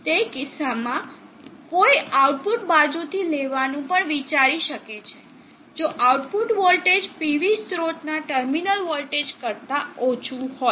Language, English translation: Gujarati, That in such a case one may also consider taking from the output side if the output voltage is lower than the terminal, the terminals of the PV source